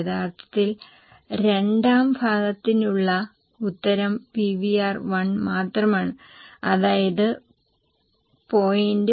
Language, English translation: Malayalam, Actually, answer for the second part, that is this PVR is only one because you can have just one PVR which is 0